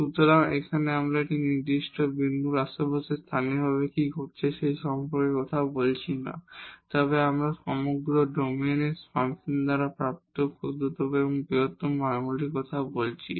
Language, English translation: Bengali, So, here we are not talking about what is happening locally around a certain point, but we are talking about the smallest and the largest values attained by the function over the entire domain